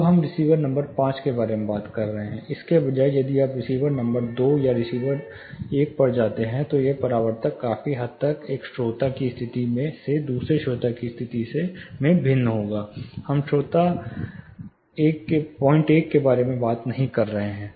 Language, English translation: Hindi, Now we are talking about receiver number 5, instead if you go back to say receiver number two or receiver number one for that matter, this reflectogram will considerably vary, from one listener position to other listener position; say we are not talking about the listener 0